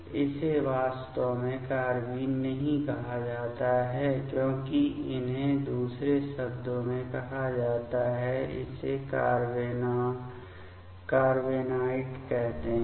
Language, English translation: Hindi, This is actually called not rather carbenes, but these are called in another term; this is called carbenoid